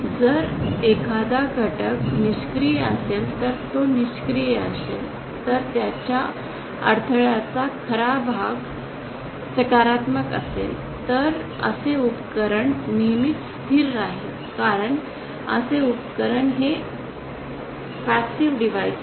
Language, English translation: Marathi, As you know passive if an element is passive that is if there is some real resistance to it if the real part of its impedance is positive, then such a device will always be stable because such a device is a passive device